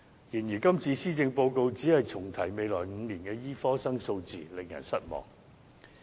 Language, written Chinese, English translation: Cantonese, 然而，今次施政報告只是重提未來5年的醫科生數字，令人失望。, However it is disappointing that this time the Policy Address has merely repeated the number of medical graduates in the next five years